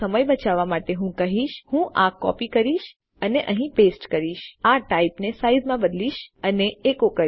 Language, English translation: Gujarati, So to save time what Ill do is Ill copy this code,paste it here and change this type to size and echo it out